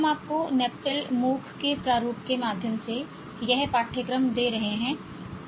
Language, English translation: Hindi, We are giving this course to you through the format of NPTAL MOOC